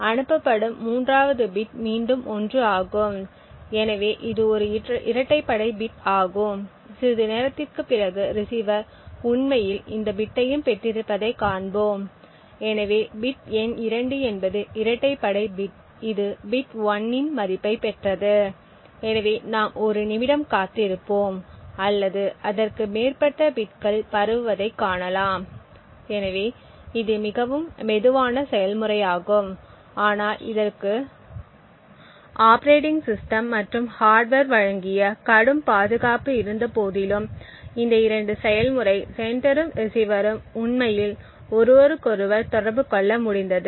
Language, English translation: Tamil, The 3rd bit being sent is 1 again so this is an even bit and we will see that after sometime the receiver has indeed received this bit as well, so the bit number 2 is the even bit got a value of 1, so we can just wait for may be a minute or so to see more bits being transmitted, so this is an extremely slow process but what it signifies is that these 2 process sender and receiver in spite of the heavy protection provided by the operating system and hardware have been able to actually communicate with each other